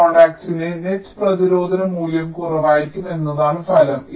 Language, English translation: Malayalam, the result is that the net resistance value of this contact will be less